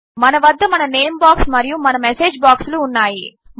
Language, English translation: Telugu, We have our name box and our message box